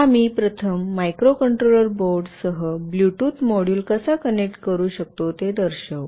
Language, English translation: Marathi, We will first show how we can connect a Bluetooth module with the microcontroller board